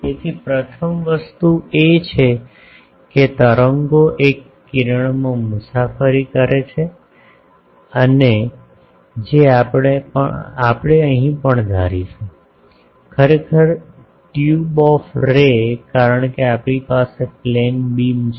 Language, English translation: Gujarati, So, first thing is the waves travel in a ray that we will assume here also; actually in a tube of ray because we have a beam